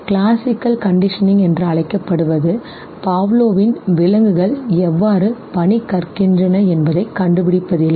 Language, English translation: Tamil, What is called as classical conditioning, interestingly Pavlov’s task was not to no find out how many animals learn